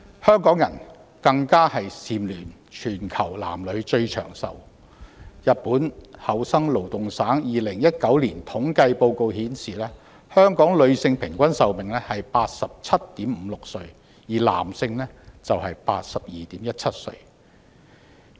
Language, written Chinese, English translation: Cantonese, 香港更蟬聯全球男女最長壽地區，日本厚生勞動省2019年的統計報告顯示，香港女性平均壽命為 87.56 歲，而男性則為 82.17 歲。, Also Hong Kong again boasts the longest life expectancy of both genders in the world . As shown by the statistical report of the Ministry of Health Labour and Welfare of Japan in 2019 the average life expectancy is 87.56 years for females and 82.17 years for males in Hong Kong